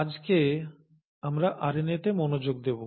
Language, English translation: Bengali, But for today, we’ll focus our attention on RNA